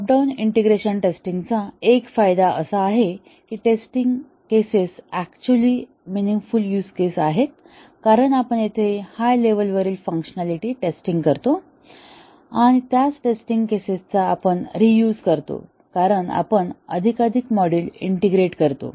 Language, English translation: Marathi, One advantage of the top down integration testing is that the test cases are actually meaningful use cases, because we are testing the top level functionality here, and also we reuse the same test cases as we integrate more and more module